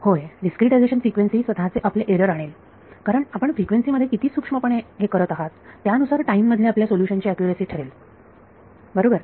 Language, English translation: Marathi, So, discretizing frequency will bring its own errors because depending on how fine you do it in frequency that accurate is your solution in time right